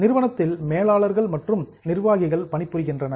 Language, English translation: Tamil, So, there are managers or executives who are working for the company